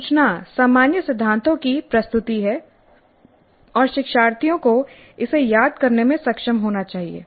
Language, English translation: Hindi, Information is presentation of the general principles and learners must be able to recall it